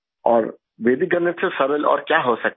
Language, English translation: Hindi, And what can be simpler than Vedic Mathematics